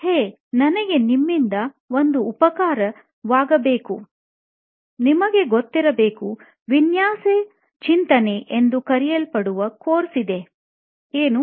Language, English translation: Kannada, Hey, I need a favour, dude, there is this course called design thinking, you know of that